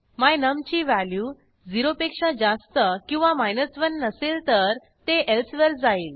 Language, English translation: Marathi, The value of my num is neither greater than 0 nor equal to 1 it will go into the else section